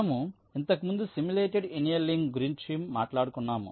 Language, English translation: Telugu, we had talked about simulated annealing earlier